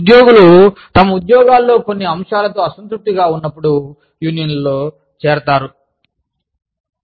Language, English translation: Telugu, Employees join unions, when they are dissatisfied, with certain aspects of their jobs